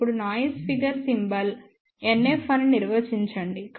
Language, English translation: Telugu, Now, let us define noise figure symbol is NF